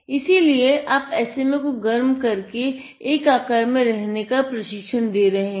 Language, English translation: Hindi, So, what happens when you heat is, your training the SMA to behave in one shape